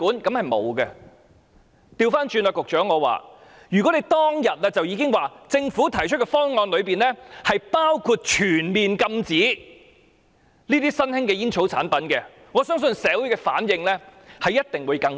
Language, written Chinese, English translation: Cantonese, 反過來說，局長，如果當天已說明政府提出的方案包括全面禁止新型吸煙產品，我相信社會的反應一定會更大。, Conversely Secretary if the Government stated on the same day that the proposal put forward by the Government included a comprehensive ban on new smoking products I believe that the response of the community would have certainly been greater